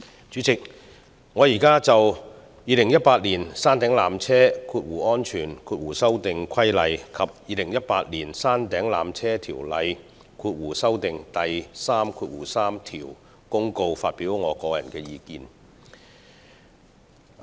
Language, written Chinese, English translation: Cantonese, 主席，我現在就《2018年山頂纜車規例》及《2018年山頂纜車條例條)公告》發表我的個人意見。, President I would now like to express my personal views on the Peak Tramway Safety Amendment Regulation 2018 and the Peak Tramway Ordinance Notice 2018